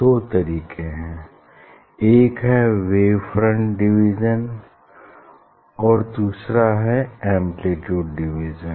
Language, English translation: Hindi, two ways, there are two ways: one is wave front division and another is amplitude division